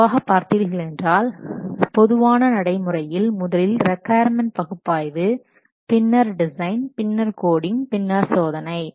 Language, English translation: Tamil, See, normally normal practice said that first you should do the requirement analysis, then design, then coding, then testing